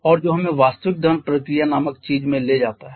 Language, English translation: Hindi, And that takes us to something called the actual combustion process